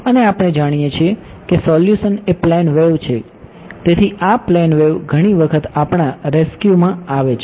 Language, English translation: Gujarati, And we know the solution is plane wave right, so this plane wave comes to our rescue many many times